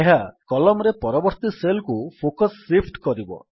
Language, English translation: Odia, This will shift the focus to the next cell in the column